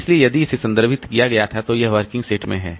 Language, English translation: Hindi, So, if it was referred to then it is in the working set